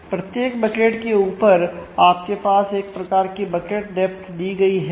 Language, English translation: Hindi, So, and on on top of every bucket you have a kind of bucket depth given